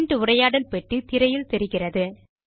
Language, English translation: Tamil, The Print dialog box appears on the screen